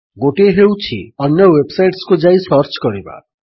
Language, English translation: Odia, One way is to search by visiting other websites